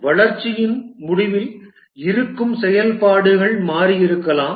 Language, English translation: Tamil, At the end of development, maybe the existing functionalities might have changed